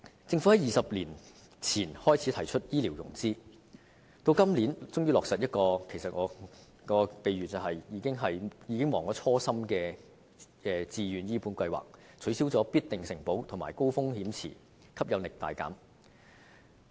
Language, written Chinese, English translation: Cantonese, 政府在20年前開始提出醫療融資，今年終於落實這項我將之比喻為忘卻初心的自願醫保計劃，取消"必定承保"及"高風險池"，令吸引力大減。, The Government started to talk about health care financing two decades ago and this year we finally see the implementation of the Voluntary Health Insurance Scheme VHIS which I would say has turned its back on its original objective as the abolition of guaranteed acceptance and high risk pool has made the scheme far less attractive